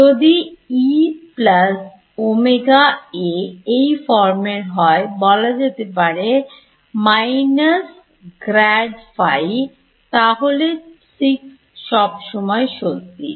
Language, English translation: Bengali, So, this is equation 6 right if E plus j omega A is of the form let us say minus grad phi then 6 is always true ok